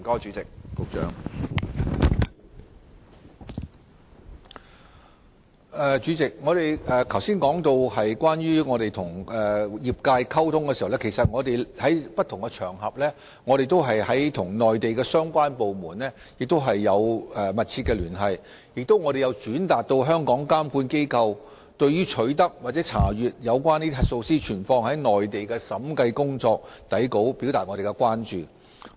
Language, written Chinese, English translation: Cantonese, 主席，正如我剛才所說，在我們與業界溝通方面，我們曾在不同場合與內地相關部門密切聯繫，並曾轉達香港監管機構對取得或查閱核數師存放於內地的審計工作底稿的關注。, President as I said just now speaking of our communication with the profession we have communicated closely with the relevant Mainland departments on various occasions and relayed the concern of regulatory bodies in Hong Kong about obtaining or reviewing auditors audit working papers kept in the Mainland